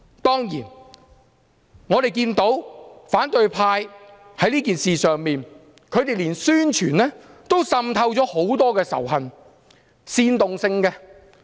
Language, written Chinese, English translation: Cantonese, 當然我們看到，反對派在此事上，連宣傳也滲透了很多煽動仇恨的成分。, Of course we can see that the opposition has even permeated many elements in its propaganda to incite hatred